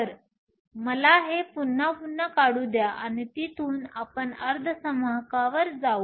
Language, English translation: Marathi, So, let me just redraw that again and from there, we will move onto semiconductors